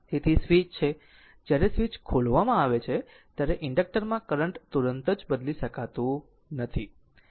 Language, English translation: Gujarati, So, when the switch is your what you call when the switch is opened current through the inductor cannot change instantaneously